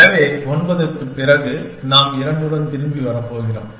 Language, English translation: Tamil, So, after 9 we are going to come back with 2